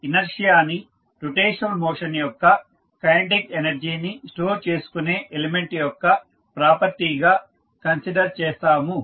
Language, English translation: Telugu, So, inertia is considered as the property of an element that stores the kinetic energy of the rotational motion